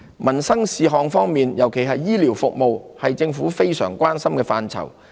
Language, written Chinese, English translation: Cantonese, 民生事項方面，尤其醫療服務，是政府非常關心的範疇。, Livelihood issues especially those concerning health care services are one aspect to which the Government pays particular attention